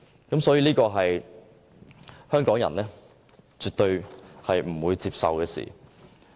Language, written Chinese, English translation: Cantonese, 這是香港人絕對不會接受的事情。, This is absolutely unacceptable to Hong Kong people